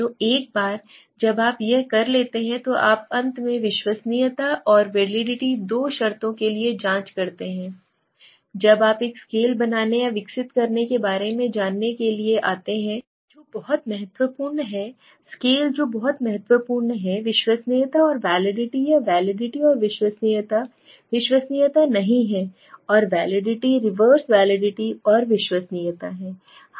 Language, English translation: Hindi, So once it is done you check for finally you check for the reliability and validity two terms which are very important okay, when you come to learn about making a scale or developing a scale which is very important are reliability and validity or validity and reliability not reliability and validity reverse validity and reliability